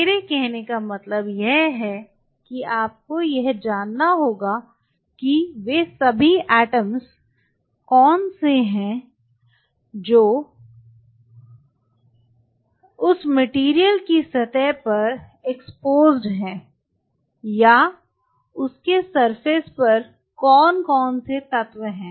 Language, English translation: Hindi, What I meant by that is you have to know that what all atoms are exposed on the surface of that material or what all elements are on the surface of it